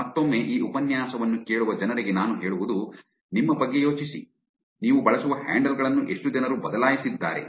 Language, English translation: Kannada, I don't know, again for people listening to this lecture, think about yourself if how many people have actually changed the handles that you use